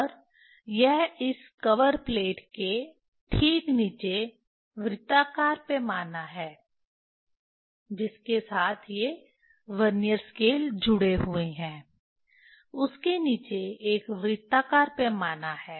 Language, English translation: Hindi, And this is the circular scale just below this cover plate with which these Vernier scales are attached, below that one there is circular scale